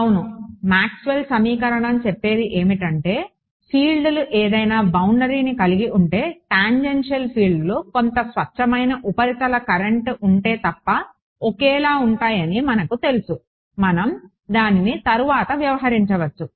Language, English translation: Telugu, Right so, we know Maxwell’s equation say that the fields the tangential fields that any boundary are the same unless there is some pure surface current let us ignore that for the we can deal with it later